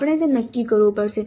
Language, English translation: Gujarati, So that we will have to decide